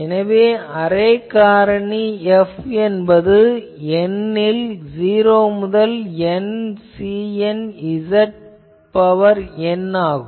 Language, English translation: Tamil, So, array factor is F is equal to n is equal to 0 to N C n Z to the power n